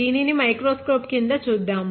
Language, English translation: Telugu, Let us look at it under the microscope